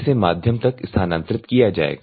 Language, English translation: Hindi, It will be transferred to the media